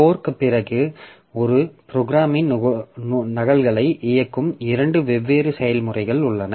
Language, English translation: Tamil, After fork there are two different processes running copies of the same program